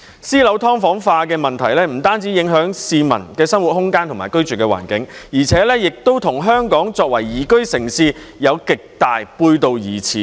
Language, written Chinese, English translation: Cantonese, 私樓"劏房化"的問題不單影響市民的生活空間和居住環境，而且亦與香港作為宜居城市極為背道而馳。, The problem of sub - division in private housing not only affects peoples living space and living environment but also runs counter to the objective of making Hong Kong a livable city